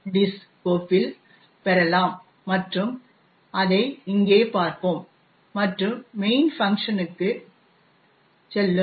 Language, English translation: Tamil, diss and we will be see it over here and will go to the main function